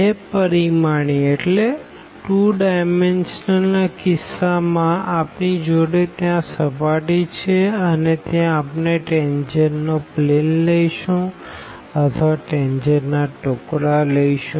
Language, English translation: Gujarati, In case of the 2 dimensional so, we have the surface there and we will take the tangent plane or the pieces of the tangent plane